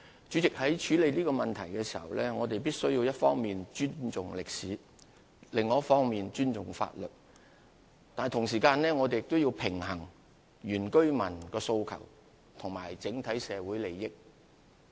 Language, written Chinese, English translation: Cantonese, 主席，在處理這問題時，我們必須一方面尊重歷史，另一方面尊重法律，但同時亦須平衡原居民的訴求與整體社會利益。, President in dealing with this issue we must on one hand respect history and on the other hand respect the law but at the same time we must also strike a balance between the aspirations of indigenous villagers and the overall interests of society